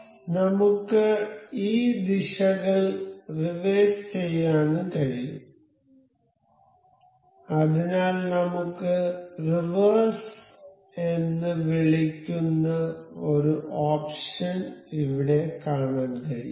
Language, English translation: Malayalam, However, we can reverse these directions so, we will go to at we have we can see here an option called reverse